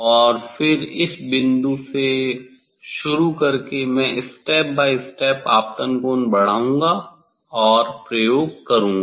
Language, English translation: Hindi, this by starting point and then I will increase the incident angle step by step and do the experiment